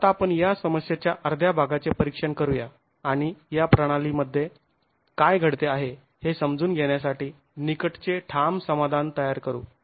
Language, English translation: Marathi, Okay, let's just examine, let's just examine one half of this problem and create a close form solution to understand what is happening in this system